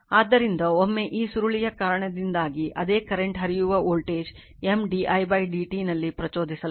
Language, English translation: Kannada, So, once because of this coil same current is flowing voltage will be induced there in M into d i by d t